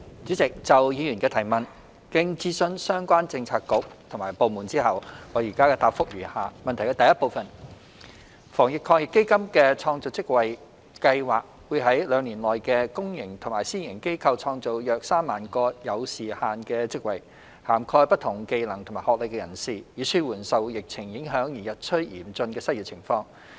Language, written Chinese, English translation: Cantonese, 主席，就議員的質詢，經諮詢相關政策局及部門後，我現答覆如下：一防疫抗疫基金的創造職位計劃會在兩年內於公營及私營機構創造約3萬個有時限的職位，涵蓋不同技能及學歷人士，以紓緩受疫情影響而日趨嚴峻的失業情況。, President having consulted the relevant bureaux and department my reply to the Members question is set out below 1 The Job Creation Scheme under the Anti - epidemic Fund will create 30 000 time - limited jobs in the public and private sectors in the coming two years for people of different skill sets and academic qualifications to relieve the worsening unemployment situation due to the epidemic